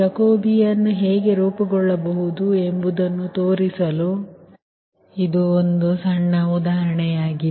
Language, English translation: Kannada, so it is a small, small example to show that how jacobian can be form, right